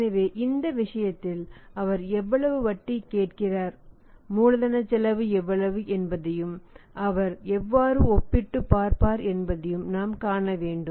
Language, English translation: Tamil, So, in this case for example we have to see that how much interest he is asking for and how much it is cost of capital he will make a comparison